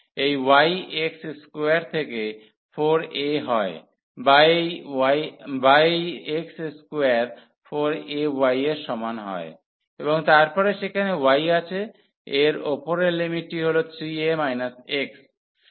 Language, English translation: Bengali, So, this y goes from x square over 4 a or this x square is equal to 4 a y, and then we have y there at the upper limit 3 a minus x